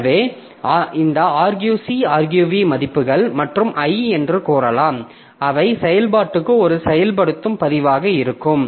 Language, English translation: Tamil, So, you can say that this arc C, arg V, values and I, so they will constitute one activation record for the function main